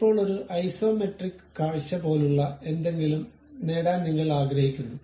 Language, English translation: Malayalam, Now, you would like to have something like isometric view